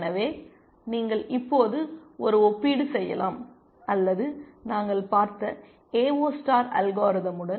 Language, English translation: Tamil, So, you can now also make a comparison or with the AO star algorithm that we had seen